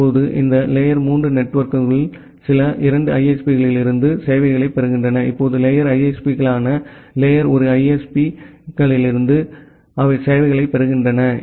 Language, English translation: Tamil, Now, this tier 3 networks they are getting services from some 2 ISPs, now the tier 2 ISPs they are getting services from the tier one ISPs